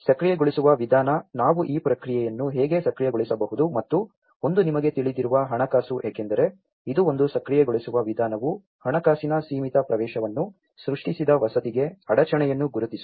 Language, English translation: Kannada, The enabling approach, how we can enable this process and one is the finance you know because this is one the enabling approach recognizes the bottleneck to housing created limited access to finance